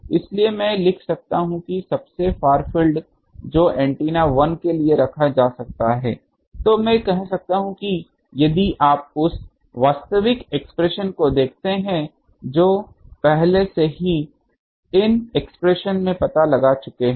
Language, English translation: Hindi, So, I can write that the far field far antenna 1 that can be written can I say if you look at that your actual expression that already we have found out these expressions earlier